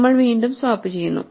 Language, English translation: Malayalam, So, again we exchange these